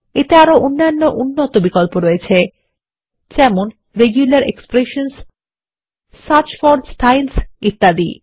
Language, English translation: Bengali, It has other advanced options like Regular expressions, Search for Styles and a few more